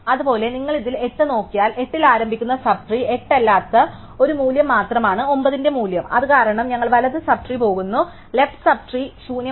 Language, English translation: Malayalam, Likewise, if you look at 8 in this only one value other than 8 in the sub tree starting at 8 has the value 9 and since it is we go in the right sub tree and we have the left sub tree empty